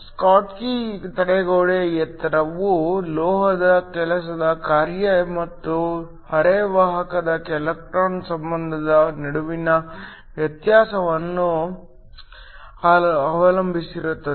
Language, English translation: Kannada, The schottky barrier height depends upon the difference between the work function of the metal and the electron affinity of the semiconductor